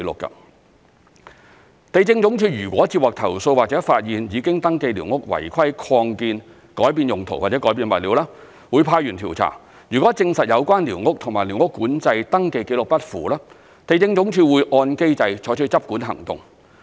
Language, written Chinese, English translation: Cantonese, 地政總署若接獲投訴或發現已登記寮屋違規擴建、改變用途或改變物料，會派員調查，如證實有關寮屋與寮屋管制登記紀錄不符，地政總署會按機制採取執管行動。, If the Lands Department LandsD receives complaints or discovers irregularities of surveyed squatter structures such as illegal extensions and change of uses or building materials it will deploy staff to the locations for investigation . If the squatter concerned is found to be inconsistent with the SCS record LandsD will take enforcement actions in accordance with the mechanism